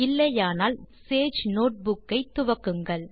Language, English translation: Tamil, If not, pause the video and start you Sage notebook